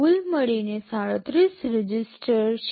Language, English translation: Gujarati, In total there are 37 registers